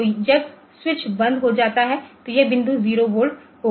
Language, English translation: Hindi, So, when the switch is closed so this point will the voltage will be 0